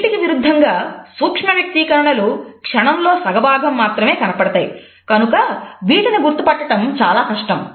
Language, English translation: Telugu, In comparison to that micro expressions occur in a fraction of a second and therefore, the detection is difficult